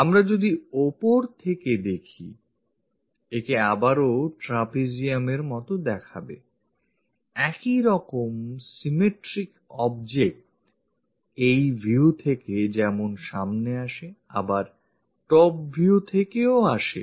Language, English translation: Bengali, If we are looking from top, again it looks like trapezium; the same symmetric object comes from this view and also from top view